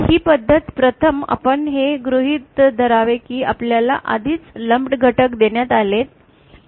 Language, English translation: Marathi, This method first we have to we assume that we have already been given our lumped elements